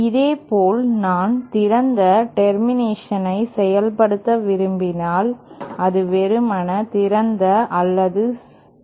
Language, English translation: Tamil, Similarly say if I want to implement an open termination, an open termination or simply an open